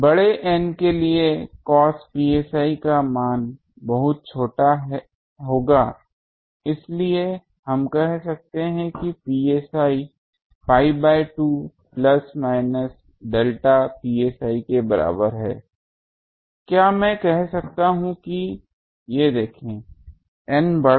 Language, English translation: Hindi, For N large cos psi value will be very small so we can say that psi is equal to pi by 2 plus minus delta psi, can I say these see that; N large